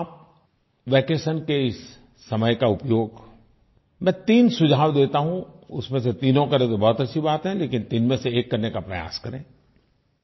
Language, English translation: Hindi, Would you like to use this time of vacation gainfully, I offer three suggestions, it will be good if you follow all of the three but then try to do atleast one of the three